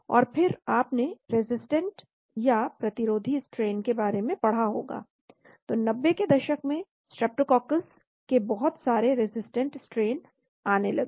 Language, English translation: Hindi, And then you must have read about resistant strains, so a lot of streptococcus resistant strain started coming in 90s